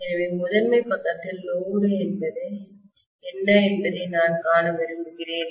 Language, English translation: Tamil, So I want to see what is the load on the primary side